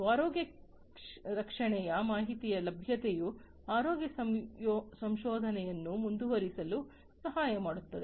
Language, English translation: Kannada, Availability of healthcare data also helps in advancing health care research